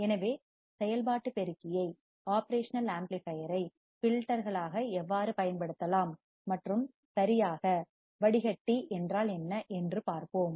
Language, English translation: Tamil, So, how we can use operational amplifier as filters and what exactly filter means